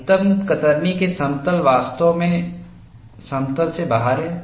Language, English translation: Hindi, The plane of maximum shear is really out of plane